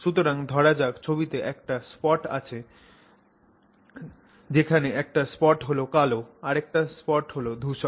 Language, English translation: Bengali, So, supposing I have a spot in the image which is black in color, another spot in the image which is gray in color